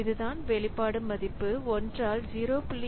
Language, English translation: Tamil, So, this is this expression value becomes 1 by 0